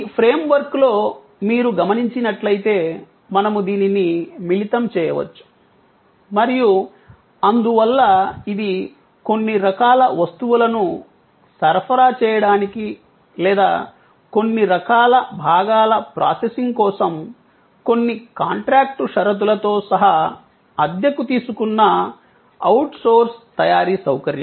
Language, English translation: Telugu, Again as you can see with in this frame work, we can combine this and therefore, this can be kind of an outsourced manufacturing facility taken on rent including certain contractual conditions for supply of certain types of goods or processing of certain kind of components and so on